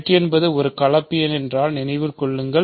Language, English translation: Tamil, Remember if z is a complex number